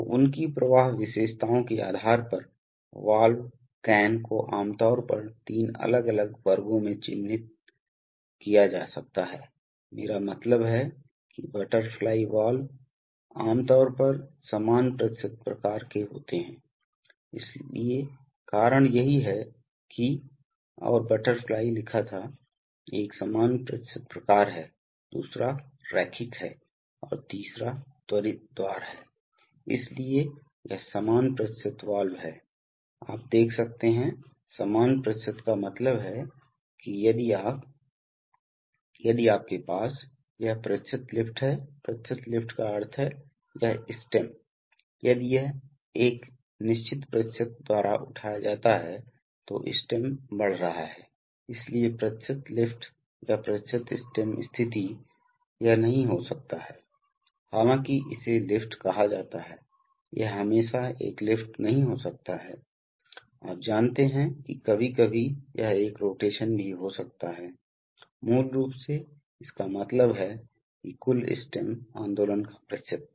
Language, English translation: Hindi, So depending on their flow characteristics, valve can, valve can be generally characterized into three different classes, one is I mean butterfly valves are typically of equal percentage type, so that is why and butterfly was written, so one is this equal percentage type, so another is linear and the third one is quick opening, so this equal percentage valve is, you can see, equal percentage means that if you, If you have a, this is percent lift, percent lift means this stem, if it is lifted by a certain percentage, the stem is moving, so percent lift or percent stem positions, this, it may not be, though it is called lift, it may not be always a lift, you know sometimes it may be a rotation also, basically means that the percent of the total stem movement